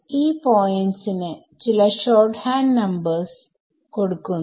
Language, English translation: Malayalam, So, these points are given some shorthand numbers